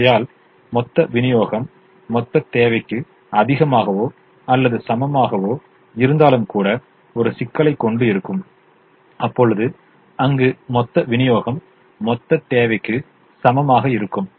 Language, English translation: Tamil, so even if the total supply is greater than equal to total demand, it is enough to have a problem with where the total supply is equal to the total demand to solve and get a solution to this